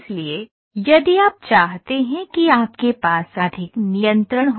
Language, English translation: Hindi, So, if you want have more and more and more control